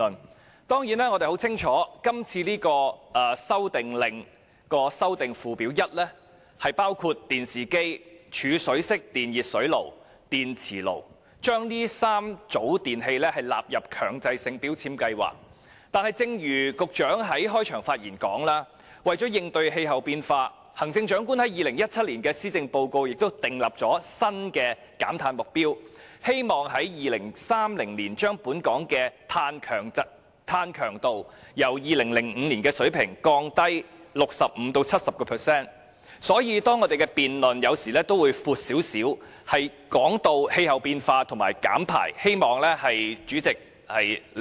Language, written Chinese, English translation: Cantonese, 我們當然很清楚，這項《修訂令》旨在把電視機、儲水式電熱火器和電磁爐3組電器納入強制性能源效益標籤計劃，但正如局長在開場發言時說，為了應對氣候變化，行政長官已在2017年的施政報告訂立新的減碳目標，希望在2030年把本港的碳強度由2005年的水平降低 65% 至 70%， 所以有時候我們的辯論範圍也會較闊，涉及氣候變化及減排，希望主席理解。, televisions TVs storage type electric water heaters and induction cookers in the Mandatory Energy Efficiency Labelling Scheme MEELS . However as stated by the Secretary in his opening speech to combat climate change the Chief Executive set a new carbon reduction target in the 2017 Policy Address and hoped to reduce carbon intensity by 65 % to 70 % by 2030 compared with the 2005 level . Therefore our debate will have a wider scope covering climate change and emissions reduction and I hope the President will understand that